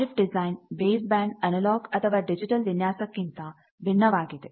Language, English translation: Kannada, RF design differs from the base band analogue or digital design